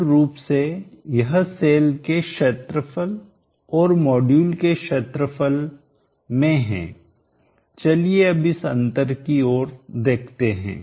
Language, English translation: Hindi, Basically it is in the area of the cell and the area of the module now let us look at this difference